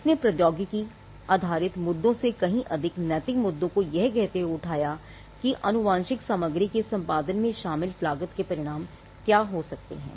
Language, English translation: Hindi, Now, this has raised quite a lot of ethical issues more than technology based issues saying that what could be the outcome the cost involved in editing genetic material